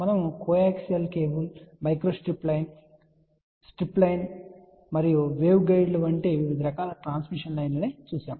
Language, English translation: Telugu, We saw different types of transmission line like coaxial line, microstrip line, strip line and waveguides